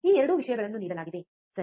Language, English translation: Kannada, These 2 things are given, right